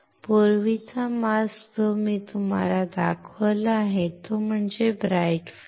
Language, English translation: Marathi, The earlier mask that I have shown it to you is bright field